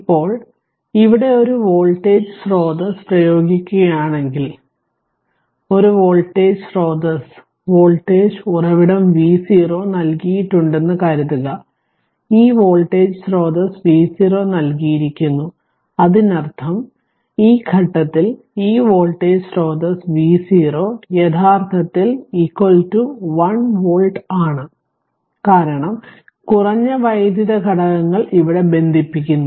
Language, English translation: Malayalam, Now, if you apply a voltage source here right so, voltage 1 voltage source suppose V 0 is given right and, this voltage source this voltage source V 0 is given; that means, at this point this voltage source is V 0 actually is equal to 1 volt, because your what you call, because low electrical elements connect here